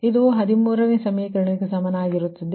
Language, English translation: Kannada, this is equals to equation thirteen